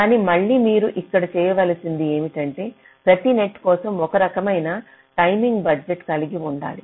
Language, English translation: Telugu, but again, what you need to do here is that you need to have some kind of timing budget for every net